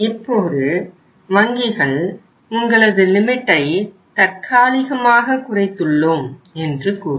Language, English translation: Tamil, Now the banks can say that we are reducing your limit for the time being